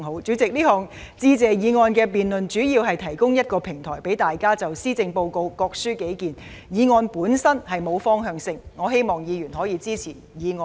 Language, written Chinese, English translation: Cantonese, 主席，這項致謝議案的辯論，主要旨在提供一個平台，讓大家就施政報告各抒己見，議案本身並沒有方向性，我希望議員可以支持議案。, President the debate on the Motion of Thanks mainly seeks to provide a platform for all Members to express their respective views on the Policy Address . The motion itself is neutral in nature . I hope that Members will vote for the motion